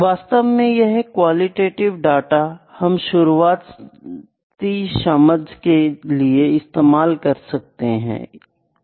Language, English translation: Hindi, So, this qualitative data is actually used for the initial understanding initial understanding